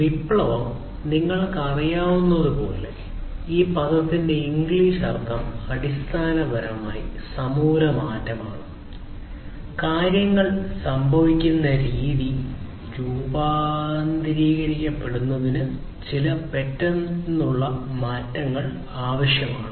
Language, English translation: Malayalam, So, revolution, as you know, that English meaning of this term is basically some kind of shift some abrupt change that is required in order to transform the way things have been happening to something which is completely different